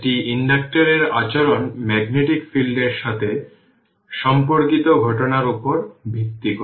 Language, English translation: Bengali, The behavior of inductor is based on phenomenon associated with magnetic fields